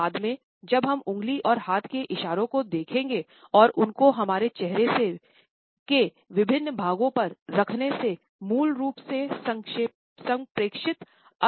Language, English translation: Hindi, Later on, when we would look at the finger movements as well as hand gestures, we would look at how hands and fingers and their placing on different parts of our face modify the originally communicated meaning